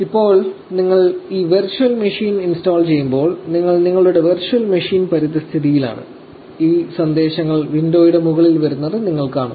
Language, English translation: Malayalam, Now, while you are installing this virtual machine while you are in your virtual machine environment, you will see a lot of these messages coming up on top of the window